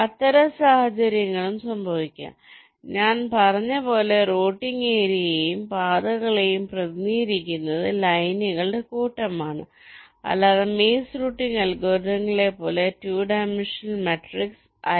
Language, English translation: Malayalam, such scenarios can also occur and, as i had said, the routing area and also paths are represented by the set of lines and not as a two dimensional matrix as in the maze routing algorithms